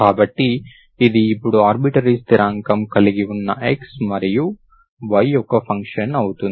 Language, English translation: Telugu, So this is now function of x and y with an arbitrary constant, this is your general solution